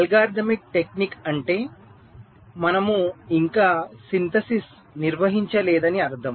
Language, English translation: Telugu, so when you say algorithmic technique, it means that we have possibly not yet carried out the synthesis